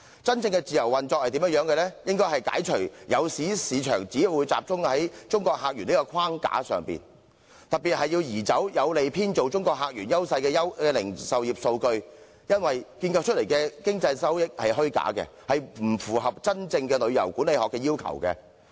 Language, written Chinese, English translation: Cantonese, 真正的自由經濟運作，應該解除誘使市場只會集中於中國客源的框架，特別是要移走有利編造中國客源優勢的零售業數據，因為建構出來的經濟收益是虛假的，不符合真正旅遊管理學的要求。, When it comes to genuine free market operation the framework that induces the market to concentrate on Mainland visitors should be lifted in particular the retail sales figures that are conducive to fabricating the advantages brought about by Mainland visitors should be removed for such fabricated economic gains are after all unsubstantiated running counter to the demand of genuine tourism management